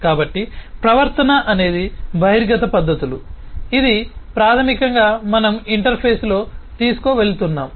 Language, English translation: Telugu, So behavior is the exposed methods, which is basically what we are carrying in the interface